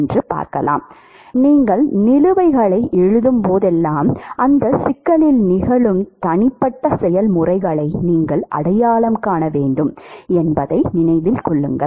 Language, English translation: Tamil, So, remember that whenever you write balances, you must identify the individual processes which are occurring in that problem